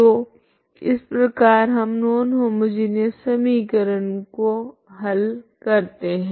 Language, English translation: Hindi, So this is the this is how you solve the non homogeneous equation, okay